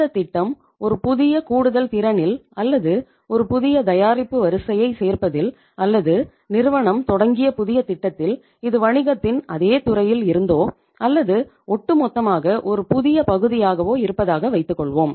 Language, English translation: Tamil, In the say new additional capacity or maybe adding a new product line or maybe say in the new project which the company started maybe whether it was it is in the same existing field of the business or it was altogether a new area